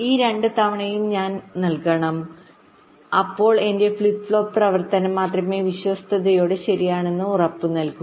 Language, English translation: Malayalam, these two times i must provide, then only my flip flop operation will be guaranteed to be faithfully correct, right